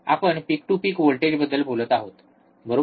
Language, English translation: Marathi, We are talking about peak to peak voltage, right